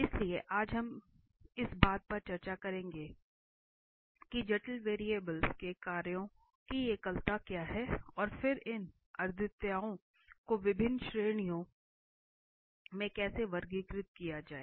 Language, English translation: Hindi, So, today we will discuss what are the singularities of functions of complex variables and then how to classify these singularities into different categories